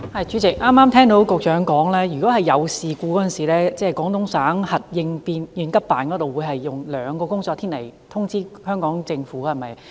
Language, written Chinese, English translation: Cantonese, 主席，剛才局長表示，發生事故時，廣東省核應急辦會在兩個工作天內通知香港政府，對嗎？, President the Secretary just said that in case of an incident GDNECO will notify the HKSAR Government within two working days right?